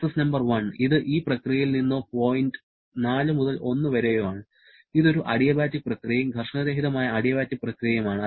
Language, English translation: Malayalam, Process number 1, which is from this process or point 4 to 1, this is an adiabatic process and frictionless adiabatic process